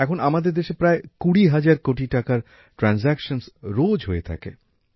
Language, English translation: Bengali, At present, transactions worth about 20 thousand crore rupees are taking place in our country every day